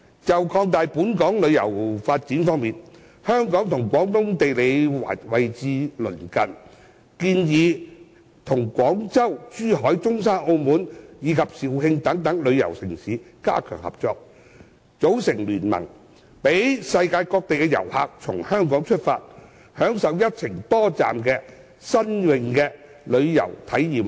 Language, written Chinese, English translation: Cantonese, 就擴大本港旅遊發展方面，香港與廣東地區位置鄰近，建議與廣州、珠海、中山、澳門和肇慶等旅遊城市加強合作，組成聯盟，讓世界各地的旅客可從香港出發，享受一程多站的新穎旅遊體驗方案。, Regarding the expansion of local tourism development Hong Kong and Guangdong are located in close proximity . It is proposed that cooperation with tourist cities such as Guangzhou Zhuhai Zhongshan Macau and Zhaoqing to form an alliance so that visitors from all parts of the world can start their journey from Hong Kong and enjoy new tourist experiences with multi - destination itineraries